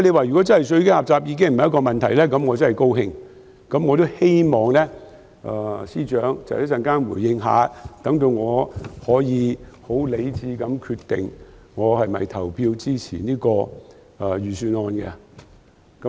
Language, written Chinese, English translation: Cantonese, 如果稅基狹窄已經不是問題，我很高興，我也希望司長稍後回應一下，好讓我可以很理智地決定我是否表決支持這份財政預算案。, If the narrow tax base is no longer a question I will be very glad . I also hope that the Financial Secretary can respond in due course so that I can rationally decide whether I will vote in support of this Budget